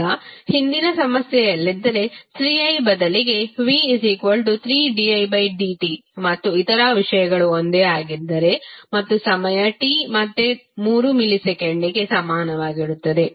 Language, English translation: Kannada, Now, if in the previous problem if voltage is given like 3 di by dt instead of 3i and other things are same and time t is equal to again 3 millisecond